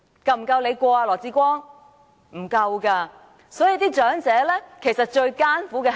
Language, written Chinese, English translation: Cantonese, 並不足夠。所以，長者其實最艱苦的是甚麼？, It is not enough so what actually presents the greatest hardship to the elderly persons?